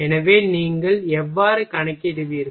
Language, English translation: Tamil, So, how you will calculate